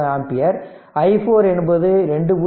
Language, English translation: Tamil, 63 ampere i 4 is 2